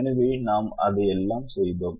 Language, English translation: Tamil, so we did all that